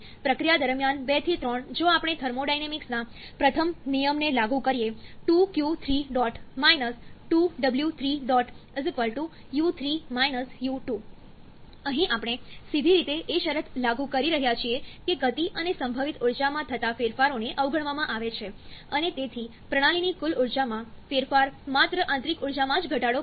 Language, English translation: Gujarati, So, let us first analyse 2 to 3 during process, 2 to 3 if we apply the first law of thermodynamics, q dot 2 to 3 – W dot 2 to 3 = u3 – u2, here we are directly applying the condition that changes in kinetic and potential energies are neglected and therefore, the changes in total energy of the system reduces only to the internal energy